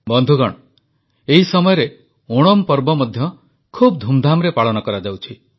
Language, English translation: Odia, Friends, these days, the festival of Onam is also being celebrated with gaiety and fervour